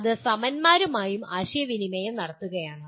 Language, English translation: Malayalam, That is communicating with peers